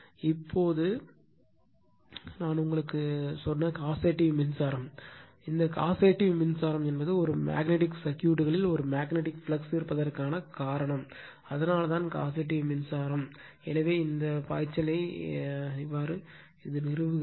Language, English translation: Tamil, Now, which is the causative current I told you, this causative current means cause of the existence of a magnetic flux in a magnetic circuit right that is why we call it is a causative current, so establishing this flux